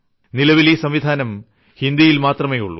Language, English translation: Malayalam, As of now, it is in Hindi